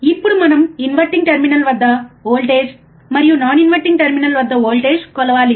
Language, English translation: Telugu, Now inverting we have to measure voltage at inverting terminal and we have to measure voltage at non inverting terminal